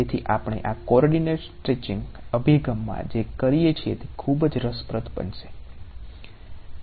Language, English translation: Gujarati, So, what we do in this coordinate stretching approach is going to be very interesting